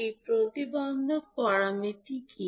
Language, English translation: Bengali, What are those impedance parameters